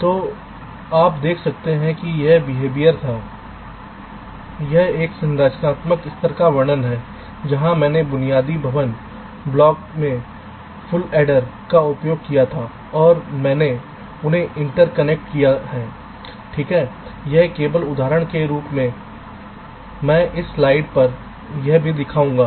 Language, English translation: Hindi, so you can see this was might behavior and this is ah structural level description where i used full adders at the basic building block and i have inter connected them right, which has example, as shall show this on this slide or so